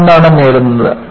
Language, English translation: Malayalam, And, what you gain